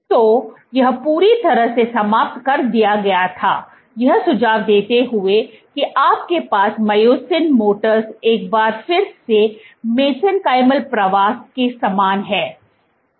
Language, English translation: Hindi, So, this was completely abolished, suggesting that you have myosin motors once again similar to mesenchymal migration